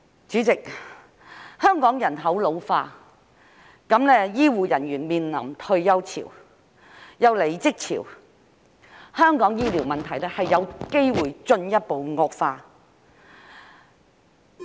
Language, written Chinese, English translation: Cantonese, 主席，香港人口老化，醫護人員面臨退休潮，又有離職潮，香港醫療問題有機會進一步惡化。, President with an ageing population as well as a retirement wave and an upsurge of departure of healthcare staff in Hong Kong there is a chance that the healthcare problem in Hong Kong will further deteriorate